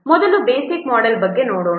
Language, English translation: Kannada, Let's see about first the basic model